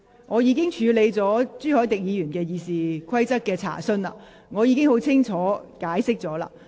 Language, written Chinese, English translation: Cantonese, 我已處理了朱凱廸議員有關《議事規則》的問題，亦已作出清楚解釋。, I have already dealt with the point related to RoP raised by Mr CHU Hoi - dick and given him a clear explanation